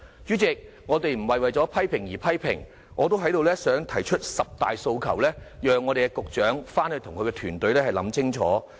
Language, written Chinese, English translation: Cantonese, 主席，我們不是為批評而批評，但我想在此提出十大訴求，讓局長回去與團隊想清楚。, President we are not criticizing for the sake of criticism but I wish to put forth 10 requests for the Secretary and her team to consider carefully